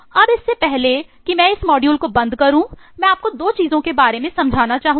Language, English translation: Hindi, Now before I close this eh module, I would just like to eh sensitize you eh about 2 things